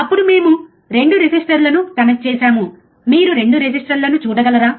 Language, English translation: Telugu, Then we have connected 2 resistors, can you see 2 resistors